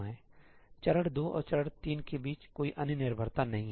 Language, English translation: Hindi, there is no other dependency between step 2 and step 3